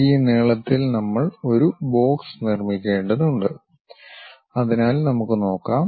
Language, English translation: Malayalam, With these lengths we have to construct a box, so let us see